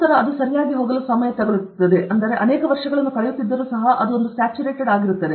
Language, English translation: Kannada, Then it is a time to go okay, because even if you spend many years it will get saturated okay